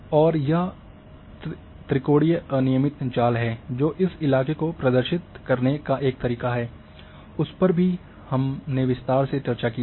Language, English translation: Hindi, And this triangulated irregular network which also a one way of representing terrain; that too we have discuss in detail